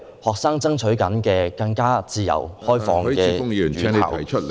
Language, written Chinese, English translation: Cantonese, 學生爭取的是更自由開放的院校......, The students were fighting for a more open and liberal campus